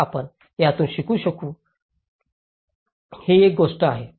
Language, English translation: Marathi, So, this is one thing we can learn from this